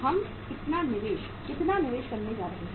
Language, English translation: Hindi, How much investment we are going to make